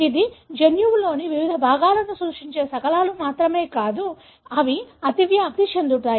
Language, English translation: Telugu, This is not only fragments that represent different parts of the genome, but they also have overlap